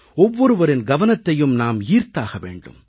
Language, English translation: Tamil, Everyone's attention will have to be drawn